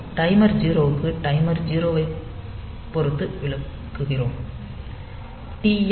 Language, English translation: Tamil, So, for timer 0; so, we are explaining with respect to timer 0